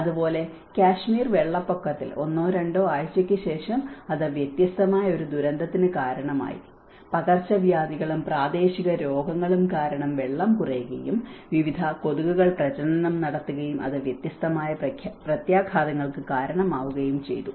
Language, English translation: Malayalam, Similarly, in Kashmir floods where after one week or two weeks then it has resulted a different set of disaster, the epidemic and endemic diseases because the water have went down and different mosquitos have breed, and it has resulted different set of impacts